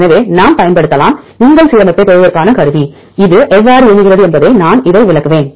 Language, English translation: Tamil, So, we can use the tool to get your alignment, how it works that I will explain this